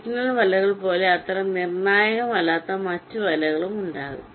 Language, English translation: Malayalam, and there can be other nets which are not so critical like the signal nets